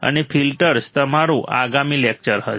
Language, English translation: Gujarati, And filters will be our next lecture